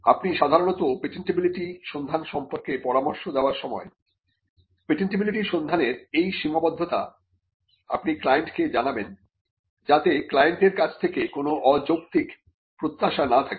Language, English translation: Bengali, So, these are the limitations of a patentability search, you would normally advise the client about the patentability search, because of these limitations so that there are no unreasonable expectations from the client